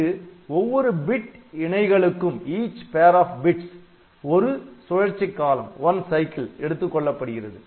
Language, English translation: Tamil, And here for each pair of bits it takes one cycle